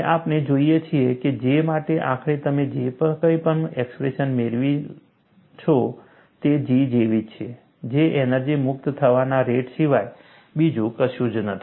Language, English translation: Gujarati, And, we find, whatever the expression you finally get for J, is same as G, which is nothing, but the energy release rate